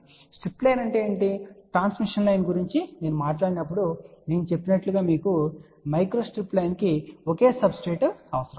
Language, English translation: Telugu, So, what is a strip line as I had mentioned when I talked about transmission line a micro strip line requires only one substrate